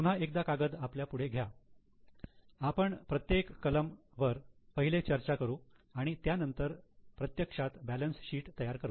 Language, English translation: Marathi, Once again take the sheet in front of you and each and every item we will discuss first and then we will actually prepare the balance sheet